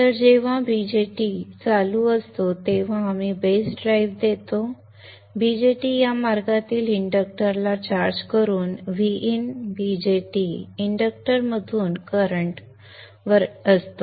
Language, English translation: Marathi, So when the BJAT is on we give the base drive, BJT is on, the current flows through VN, BJAT, inductor, charging of the induuctor in this path